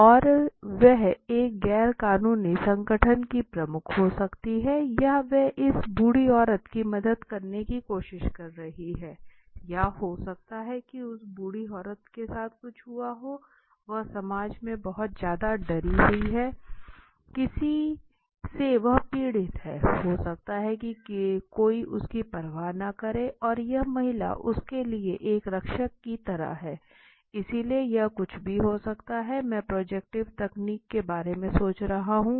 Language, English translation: Hindi, And she may be head of an NGO or she is trying to help this old lady or may be something has happened with that old lady she is too much scared of in the society some she is suffered of may be nobody takes cares of something and this lady is like a protector to her so it could be anything how am I thinking so projective techniques are